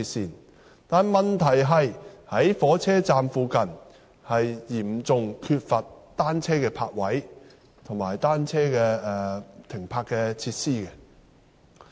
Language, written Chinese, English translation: Cantonese, 然而，問題是火車站附近嚴重缺乏單車泊位及停泊設施。, But the problem is that the bicycle parking spaces and facilities provided near the stations are seriously inadequate